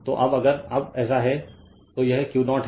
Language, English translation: Hindi, So, now if you now so, this is your Q 0 right